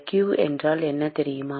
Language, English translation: Tamil, You know what q is